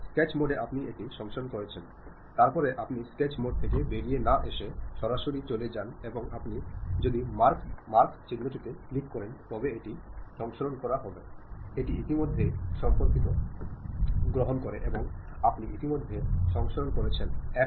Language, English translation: Bengali, In the sketch mode you saved it, after that you straight away without coming out of sketch mode and saving it if you click that into mark, it takes the recent version like you have already saved that is [FL]